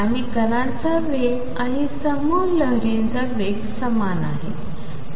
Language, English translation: Marathi, And the speed of particle is same as group velocity